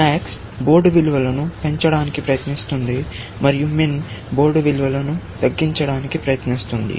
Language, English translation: Telugu, Max is trying to maximize the board value and min is trying to minimize the board value